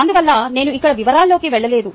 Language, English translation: Telugu, therefore i am not getting into the details here